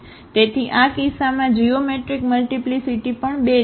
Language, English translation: Gujarati, So, the geometric multiplicity is also 2 in this case